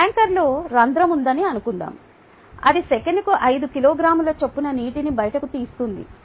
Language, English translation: Telugu, suppose there is a hole in the tanker which oozes water at a rate of five kilogram per second